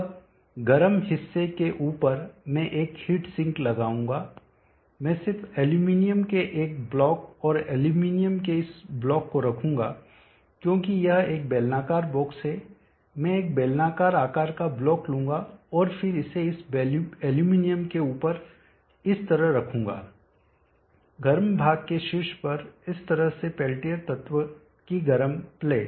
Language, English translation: Hindi, Now on top of the hot portion I will place a heat sink, I will just place a block of aluminum and this block of aluminum, because this is a cylindrical box, I will take a cylindrical shape block and then place it on top of this aluminum like this